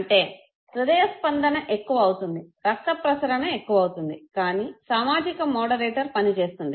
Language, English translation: Telugu, So heartbeat by default will increase, blood flow will by default increase, but then the social moderator works